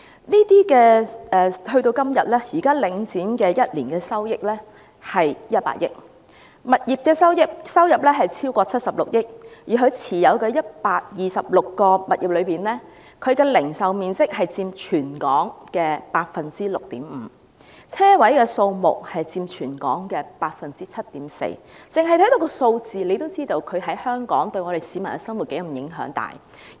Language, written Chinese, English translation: Cantonese, 時至今日，領展每年收益達100億元，當中來自物業的收入超過76億元，而其持有的126個物業中，零售面積佔全港的 6.5%， 車位數目佔全港的 7.4%， 單看數字已經知道對香港市民的生活有多大影響。, Nowadays Link REIT yields an annual revenue of 10 billion of which the revenue from properties exceeds 7.6 billion . Among its 126 properties the retail area accounts for 6.5 % of the total in Hong Kong and the number of parking spaces accounts for 7.4 % of the total in Hong Kong . By merely taking a look at these figures we can see how great the impact it has on the life of Hong Kong people